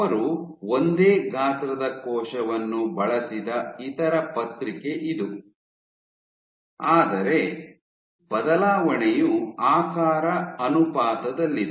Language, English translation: Kannada, This was the other paper where they used of same size, but change is in aspect ratio